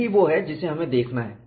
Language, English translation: Hindi, That is what we are going to use